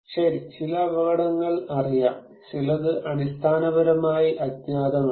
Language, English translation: Malayalam, Well, some dangers are known, some are unknown basically